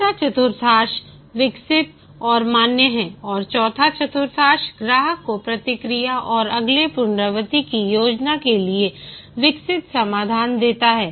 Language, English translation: Hindi, The third quadrant is developed and validate and the fourth quadrant is give the developed solution to the customer for feedback and plan for the next iteration